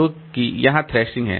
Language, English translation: Hindi, So that is the thrashing